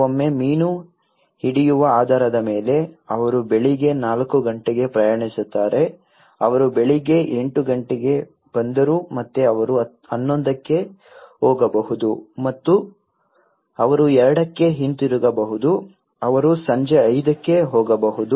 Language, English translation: Kannada, Sometimes, depending on the fish catch, they travel at morning four o clock they come at morning eight again they might go at 11:00 and they might come back at 2:00 they might go to evening 5:00